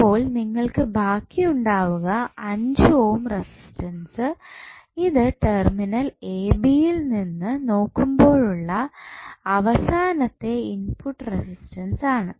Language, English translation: Malayalam, So, you are left with only this 5 on the distance and which would be finally your input resistance when you see from terminal AB